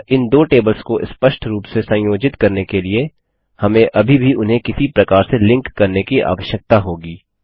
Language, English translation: Hindi, So to explicitly connect these two tables, we will still need to link them someway